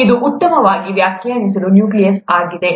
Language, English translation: Kannada, This is a well defined nucleus